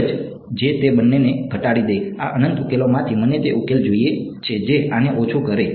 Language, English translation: Gujarati, One which minimizes both of them, out of this infinity of solutions I want that solution which minimizes this